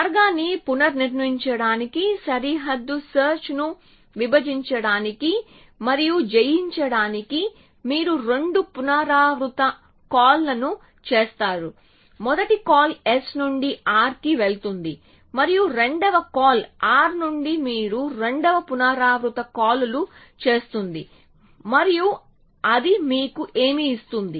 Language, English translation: Telugu, So, to reconstruct the path you make two recursive calls to divide and conquer frontier search 1 call goes from s to r and the 2nd call goes from r to you make 2 recursive calls and what would that give you